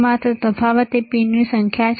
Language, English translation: Gujarati, Only difference is the number of pins